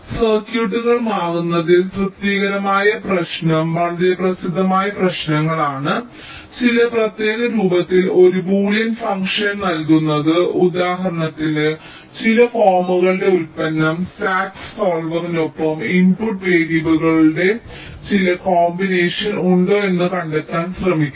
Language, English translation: Malayalam, satisfiability problem is a very well known problem in switching circuits where, given a boolean function in some special form say, for example, the product of some forms the sat solver will trying to find out whether there exists some combination of the input variables for which your given function is equal to one